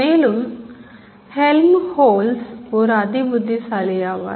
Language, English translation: Tamil, So Helmoltz, this is a very important character